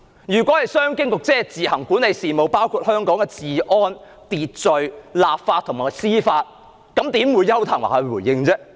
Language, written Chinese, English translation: Cantonese, 如果香港自行管理的事務包括治安、秩序、立法和司法，為何是邱騰華回應呢？, If the affairs Hong Kong administers on its own include security order legislative affairs and judicial affairs why should Edward YAU have given a reply?